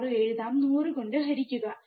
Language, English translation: Malayalam, 6 divide by 100, right